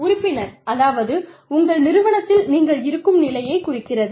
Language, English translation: Tamil, Membership, it means, the stage that, you are at, in your organization